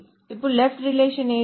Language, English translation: Telugu, Now which is the left relation